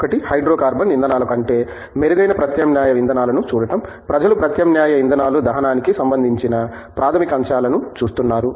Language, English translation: Telugu, One is of course, to look at alternative fuels which are better than hydrocarbon fuels in some sense so, people are looking at fundamental aspects of combustion of alternative fuels